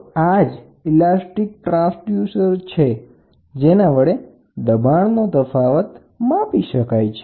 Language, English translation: Gujarati, So, these are nothing but elastic transducers which are used to measure the pressure difference